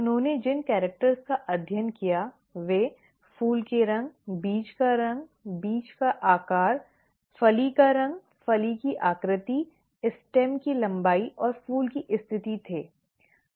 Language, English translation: Hindi, The characters that he studied were flower colour, seed colour, seed shape, pod colour, pod shape, stem length and the flower position